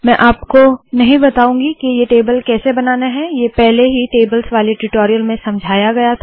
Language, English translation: Hindi, I am not going to explain how to create this table, this has already been explained in the spoken tutorial on tables